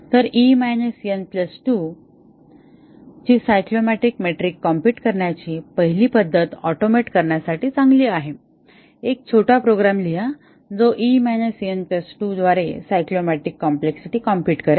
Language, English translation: Marathi, So, the first method of computing the cyclomatic metric e minus n plus 2 is good to automate, write a small program which will compute the cyclomatic complexity by e minus n plus 2